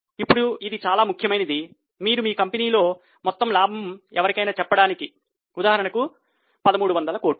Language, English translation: Telugu, Now this is very important because if you tell somebody that total net profit of our company is, let us say, 1,300 crores